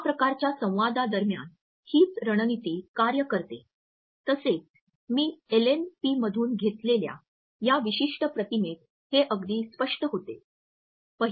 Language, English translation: Marathi, The same strategy works during this type of dialogues also this particular image which I have taken from LNPs illustrates it very significantly